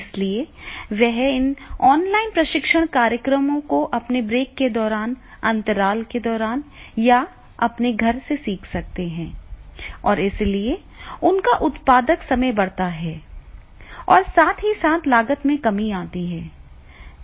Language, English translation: Hindi, So, they can learn these online training programs during the, their maybe the breaks during the intervals or from the home and therefore they are the productive time that increases simultaneously cost reduces